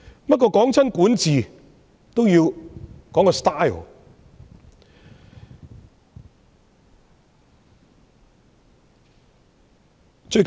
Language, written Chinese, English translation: Cantonese, 不過，每當談到管治，都要觸及風格的問題。, However when it comes to a discussion on governance it is necessary to touch on the issue of style